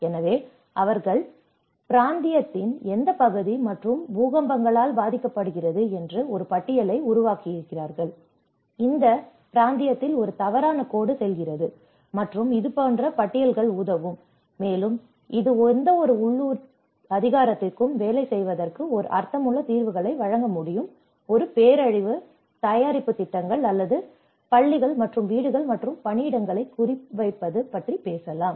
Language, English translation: Tamil, So, they make a catalogue that which part of the region and which is affected by the earthquakes because a fault line goes in that region and such kind of catalogues will help, and it can actually give a meaningful solutions for any local authority to work on a disaster preparedness plans or which could also talk about targeting schools and homes and workplaces